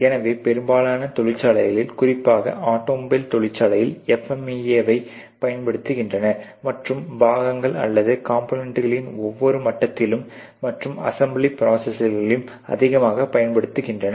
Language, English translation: Tamil, So, most of the industries particularly the automobile industries etcetera very much into doing FMEA analysis and every level of the parts or components and also the fitment as regards the assembly process